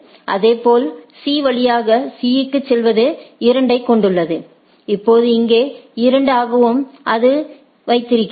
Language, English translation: Tamil, Similarly, going to C via C it has 2 and now here also 2 so, it keeps that